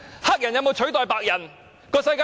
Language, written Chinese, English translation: Cantonese, 黑人有否取代白人？, Have the black people taken the place of the white?